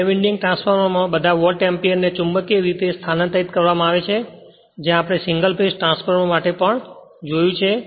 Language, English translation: Gujarati, In a two winding transformer, all Volt ampere is transferred magnetically that also you have seen for single phase transformer